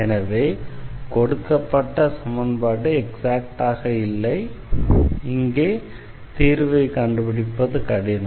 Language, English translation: Tamil, So, the given equation is not exact and then it is difficult to find the solution here